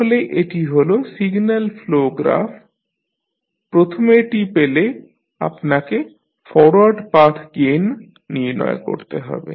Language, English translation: Bengali, So, this is the signal flow graph if you get the first thing which you have to find out is forward path gain